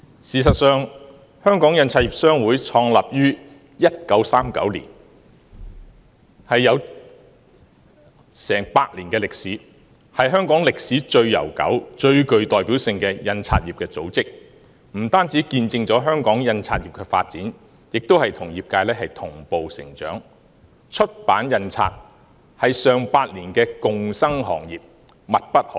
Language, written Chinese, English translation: Cantonese, 事實上，印刷業商會創立於1939年，有過百年的歷史，是香港歷史最悠久及最具代表性的印刷業組織，不單見證香港印刷業的發展，也與業界同步成長，出版印刷是上百年的共生行業，密不可分。, In fact HKPA established in 1939 has a history of over a hundred years . It is the oldest and most representative association of the printing industry . HKPA has not only witnessed the development of the printing industry but also developed with it